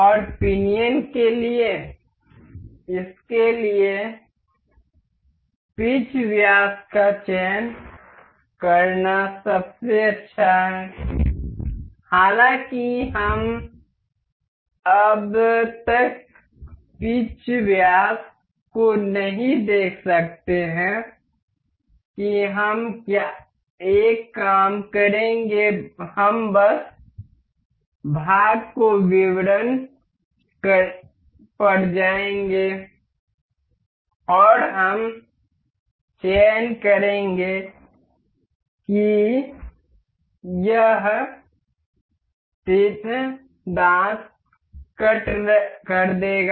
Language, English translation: Hindi, And for pinion it is best to select the pitch diameter for this; however, we cannot see the pitch diameter as of now to see that we will do one thing, we will just we will go to the part details and we will select this tooth cut this tooth cut will make it show